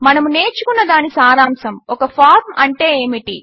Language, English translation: Telugu, To summarize, we learned: What a form is